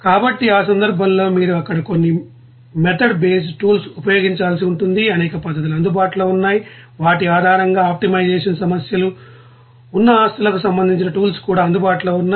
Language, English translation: Telugu, So, in that case you have to use some method based tools there, there are several methods are available and based on which respective tools also are available to you know assets that optimization problems